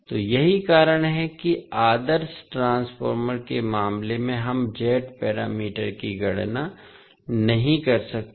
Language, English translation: Hindi, So, that is why in case of ideal transformers we cannot calculate the Z parameters